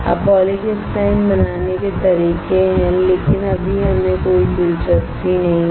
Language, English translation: Hindi, Now there are ways of making a polycrystalline, but right now we are not interested